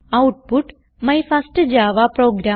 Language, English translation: Malayalam, You will get the output My first java program